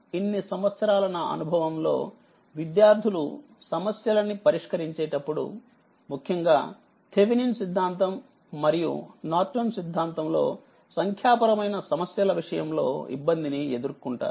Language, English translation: Telugu, So, whatever over the years my experience shows, that students they face problem for solving problem your numerical particularly, when they go for Thevenin’s theorem are Norton theorem